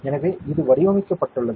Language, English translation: Tamil, So, this is one design